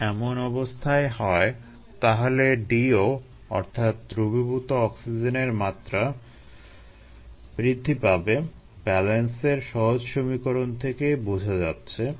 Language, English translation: Bengali, if this is the case, then the d o, the dissolved oxygen level, will increase, right from simple, from balance